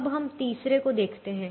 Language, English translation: Hindi, now we look at the third one